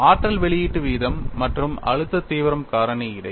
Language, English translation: Tamil, What is the interrelationship between energy release rate and stress intensity factor